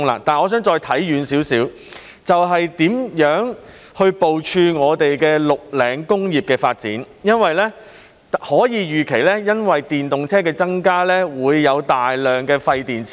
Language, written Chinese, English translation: Cantonese, 我想看遠一些，就是如何部署綠領工業的發展，因為我們可以預期，由於電動車增加，日後將會產生大量廢電池。, Instead I would like to look further and see how we should plan for the development of green industries because with the increase in the number of EVs it is foreseeable that a large number of waste batteries will be produced in the future